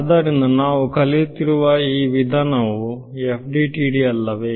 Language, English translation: Kannada, So, I mean this method that we are studying is FDTD right